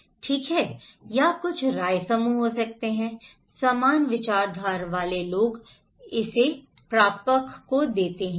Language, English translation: Hindi, Okay or could be some opinion groups, same minded people they pass it to the receivers